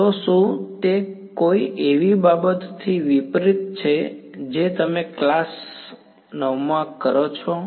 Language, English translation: Gujarati, So, does that contrast with something that you have learnt from like class 9